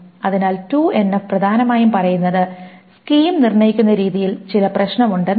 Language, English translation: Malayalam, So 2NF essentially says that there is some problem with the way the schema is determined